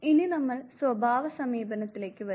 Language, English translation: Malayalam, We now come to the trait approach